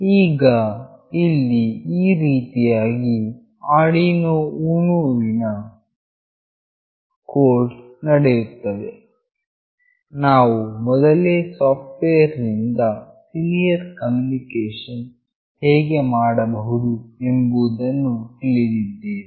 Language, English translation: Kannada, Now, here goes the code for Arduino UNO, we already know how to make the software serial connection